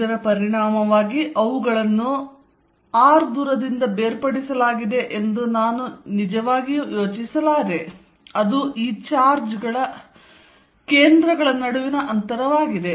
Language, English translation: Kannada, As a result I cannot really think of them being separated by distance which is the distance between the centers of this charge